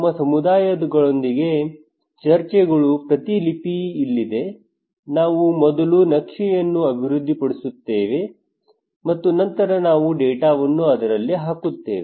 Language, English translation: Kannada, Here is a transcript of our discussions with the community we develop the map first and then we put the data into it